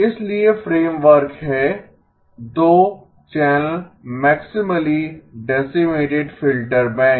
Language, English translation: Hindi, So the framework is the 2 minus channel maximally decimated filter bank